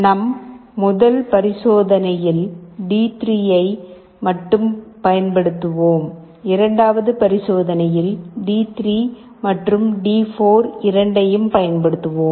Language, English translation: Tamil, In our first experiment we shall be using only D3, in the second experiment we shall be using both D3 and D4